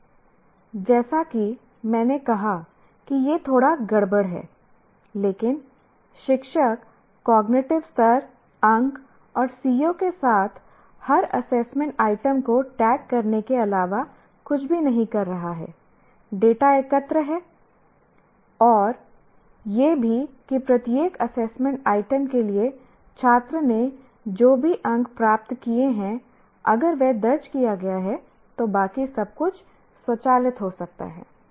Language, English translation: Hindi, Now, as I said, it looks a little more what do you call involved and messy, but once you, the teacher is not doing anything other than tagging the every assessment item with cognitive level marks and the CVO and the CVO and collect the data and also whatever marks that student has obtained for each assessment item if that is recorded, everything else can be automated